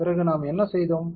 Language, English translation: Tamil, Then what we did